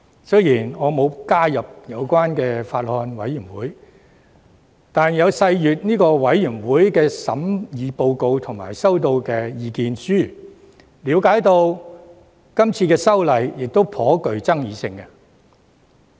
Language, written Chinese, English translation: Cantonese, 雖然我並未加入有關的法案委員會，卻有細閱法案委員會提交的審議報告及所收到的意見書，並了解這項修訂法案頗具爭議性。, Although I have not joined the relevant Bills Committee I have carefully studied the deliberation report submitted and submissions received by the Bills Committee . I understand that the Bill is pretty controversial